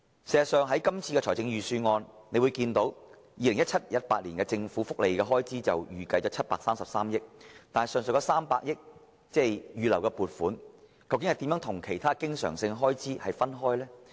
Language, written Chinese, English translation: Cantonese, 事實上，在今年的預算案中，大家看到在 2017-2018 年度，政府預計的福利開支是733億元，但當中預留的300億元撥款如何有別於其他經常性開支？, As a matter of fact Members may notice from this years Budget that for the year 2017 - 2018 the estimated expenditure for social welfare is 73.3 billion . But how is the 30 billion reserved provision different from other recurrent expenditures?